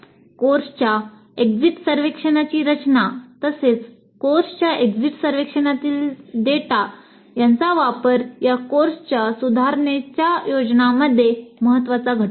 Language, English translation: Marathi, And the design of the course exit survey as well as the use of data from the course grid survey would form an important component in improvement plans of the course